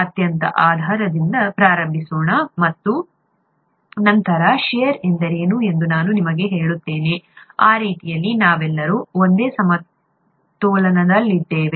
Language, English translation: Kannada, Let’s start from the very basis, and then I’ll tell you what shear is, that way we are all in the same plane